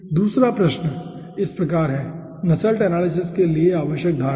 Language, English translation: Hindi, okay, second question goes like this: necessary assumption for nusselt anaysis